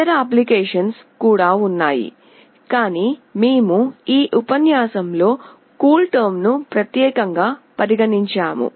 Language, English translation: Telugu, There are other applications as well, but we have considered CoolTerm in this particular lecture